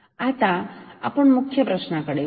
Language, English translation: Marathi, Now, let us come to the main question